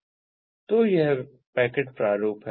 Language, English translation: Hindi, so that is the packet format